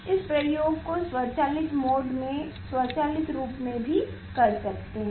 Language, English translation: Hindi, this also one can do this experiment automatically in automatic mode